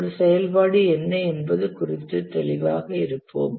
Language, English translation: Tamil, Let us be clear about what is an activity